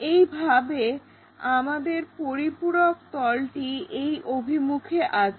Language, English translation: Bengali, In the same our auxiliary plane is in this direction